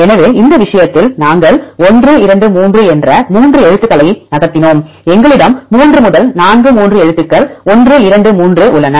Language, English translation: Tamil, So, in this case, we moved 3 characters 1, 2, 3; then we have 3 to 4 3 letters 1 2 3 they are aligned